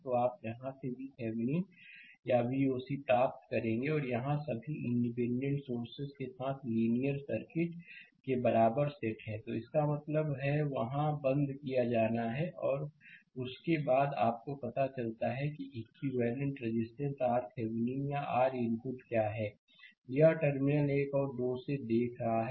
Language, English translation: Hindi, So, you from where you will get V Thevenin or V oc and here, linear circuit with all independent sources set equal to 0; that means, there have to be turned off and after that, you find out what is your equivalent resistance R Thevenin right or R input; this looking from terminal 1 and 2 right